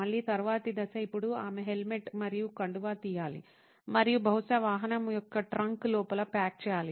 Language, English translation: Telugu, Again, the next step is now she has to take off her helmet and scarf and probably pack it inside the trunk of the vehicle